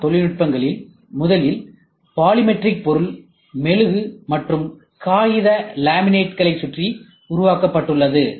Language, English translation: Tamil, RM technologies was originally developed around polymeric material, wax, and paper laminates Why